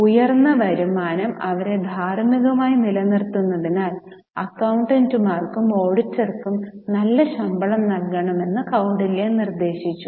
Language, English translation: Malayalam, Kautilay suggested good salaries be paid to accountants as well as auditor as higher income would keep them ethical